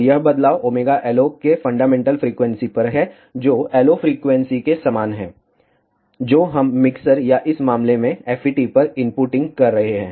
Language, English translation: Hindi, And this variation is at fundamental frequency of omega LO which is same as the LO frequency, which we are inputting at the mixture or the FET in this case